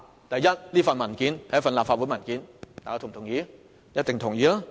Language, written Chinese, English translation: Cantonese, 第一，有關文件屬於立法會文件，這一點大家一定同意。, First the document concerned is a paper of the Legislative Council and this point is agreed by everyone